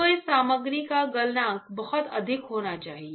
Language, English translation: Hindi, So, the melting point of this material should be extremely high